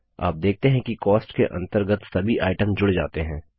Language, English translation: Hindi, You see that all the items under Cost gets added